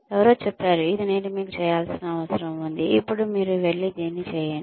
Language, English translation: Telugu, Somebody says, this is what I needed you to do, and now you go and do it